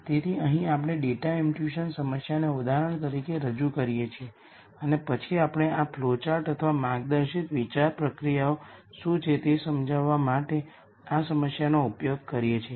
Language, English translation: Gujarati, So, here we pose an example data imputation problem and then we use this problem to kind of explain what this flowchart or the guided thought processes